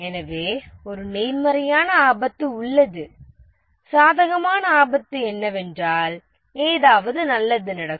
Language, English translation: Tamil, The positive risk is that something good happens